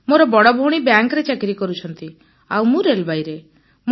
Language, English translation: Odia, My first sister is doing a government job in bank and I am settled in railways